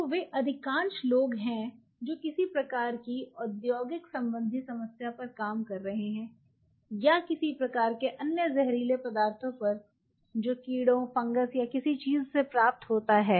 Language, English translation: Hindi, So, those are most of people who are can some kind of industrial related problem or you know some kind of other toxic material derived from insect fungus or something